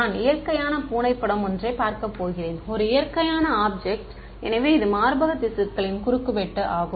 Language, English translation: Tamil, And I am going to look at a natural image right cat is a natural object, so it is also a cross section of breast tissue